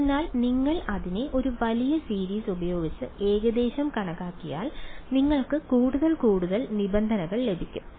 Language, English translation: Malayalam, So, if you approximate it by a larger series you will get more and more terms right